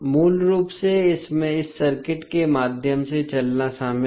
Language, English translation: Hindi, Basically it involves walking through this circuit